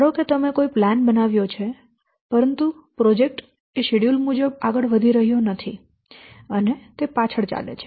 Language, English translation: Gujarati, Suppose you have made a plan but the project is not moving according to the schedule